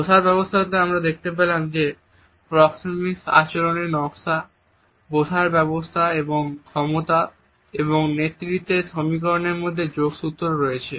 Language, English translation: Bengali, In seating arrangements also we find that there are linkages between and among proxemic behavior designing, seating arrangement and power and leadership equations